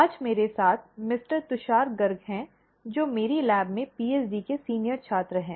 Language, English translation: Hindi, Today I have Mister Tushar Garg with me, a senior PhD student in my lab